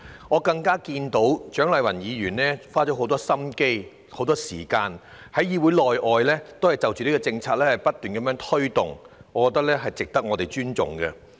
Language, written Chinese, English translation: Cantonese, 我亦看到蔣麗芸議員花了很多心思和時間，在議會內外不斷推動這項政策，我認為她的努力值得尊重。, I also notice that Dr CHIANG Lai - wan has spent much effort and time on advocating this policy both inside and outside this Council . I respect her endeavours